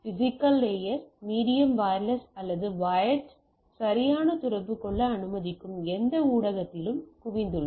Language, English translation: Tamil, So, physical layer is concentrated with the things medium maybe wired wireless or any medium which allows to communicate right